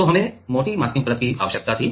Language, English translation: Hindi, So, we needed thicker masking layer